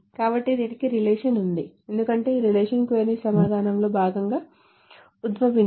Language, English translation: Telugu, So this boils down to this because a relation is being derived as part of the query answering